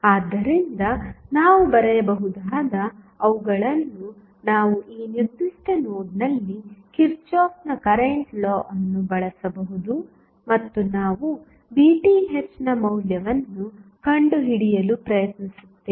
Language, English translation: Kannada, So, what we can write we can use Kirchhoff's current law at this particular node and we will try to find out the value of Vth